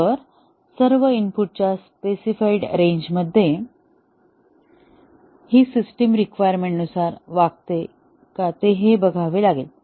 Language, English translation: Marathi, So, all within the specified range of inputs, and check is the system behaving as per its requirement